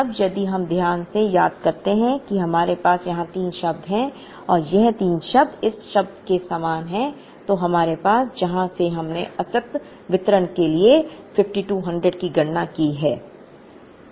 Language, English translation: Hindi, 5 Now, if we remember carefully we have 3 terms here and these 3 terms are very similar to this term, that we have from where we calculated 5200 for the discrete distribution